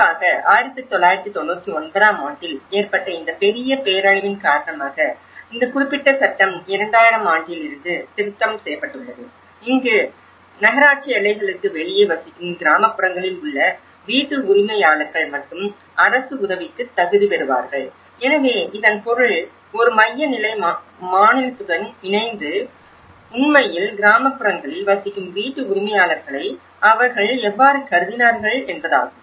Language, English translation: Tamil, And especially, due to this major devastation in1999, this particular law has been amended, somewhere around 2000 and this is where that only homeowners in rural areas who live in outside the municipal boundaries would still qualify for state assistance, so which means, so on a central level in collaboration with the state how they actually also considered the homeowners living in the rural areas